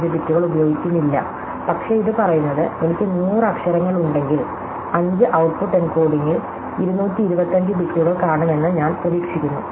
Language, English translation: Malayalam, 25 bits per letter, but what it says this for instance, if I have a 100 letters, I would expect to see 225 bits in the output encoding